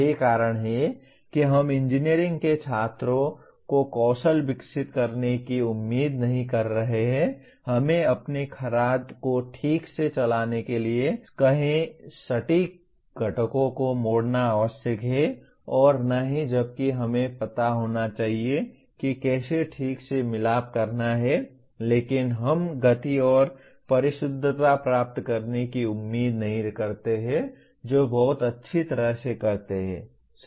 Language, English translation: Hindi, That is we are not expecting the engineering students to develop skills let us say for running your lathe very precisely, turning precision components that are required nor while we should know how to solder properly but we do not expect to achieve speeds and precision that very well, right